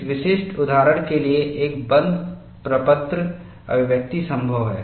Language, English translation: Hindi, For this specific example, a closed form expression is possible